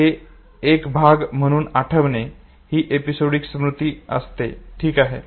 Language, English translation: Marathi, Therefore it is called as episodic memory